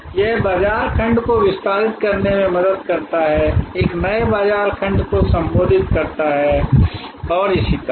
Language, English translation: Hindi, It also helps to expand the market segment, address a new market segment and so on